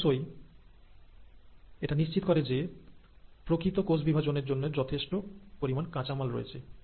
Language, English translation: Bengali, And of course, it makes sure that there is a sufficient amount of raw material available for the actual process of cell division